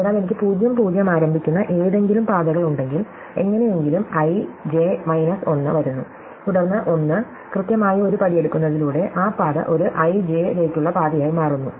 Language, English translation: Malayalam, So, if I have any paths, which starts at (, right, any path, which somehow comes to (i, j 1), then by taking one, exactly one step, that path becomes one path to (i,j) right